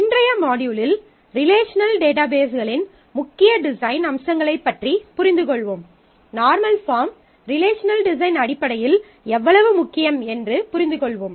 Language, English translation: Tamil, We will in today’s module get into understanding the core design aspects of relational databases; that is a normal forms and how important they are in terms of the relational design